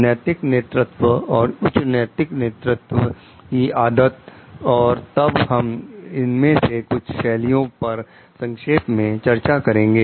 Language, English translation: Hindi, Ethical leadership, moral leadership, habits of highly moral leaders and then we will have a short discussion on each of these styles